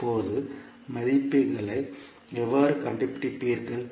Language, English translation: Tamil, Now, how you will find out the values